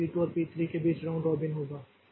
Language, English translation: Hindi, So, between P1 and P5 again we have got this round robin